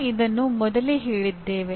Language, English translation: Kannada, Now, we have stated this earlier